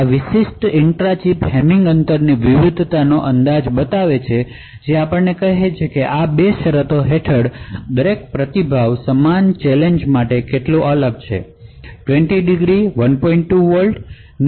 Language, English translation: Gujarati, This particular graph shows the estimation of the intra chip Hamming distance variation, so it tells you how different each response looks for the same challenge under these 2 conditions; 20 degrees 1